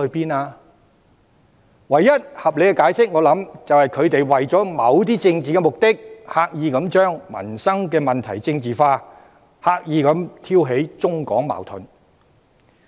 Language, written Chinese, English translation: Cantonese, 我相信，唯一合理的解釋是，他們為了某些政治目的，刻意把民生問題政治化，刻意挑起中港矛盾。, I believe the only reasonable interpretation is that they for certain political purposes deliberately politicize livelihood issues and instigate conflicts between Hong Kong and China